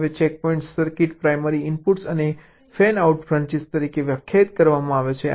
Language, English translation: Gujarati, now checkpoints is defined as for a circuit, the primary inputs and the fanout branches